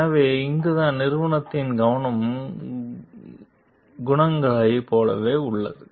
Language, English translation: Tamil, So, this is the where the focus of the company is on like the qualities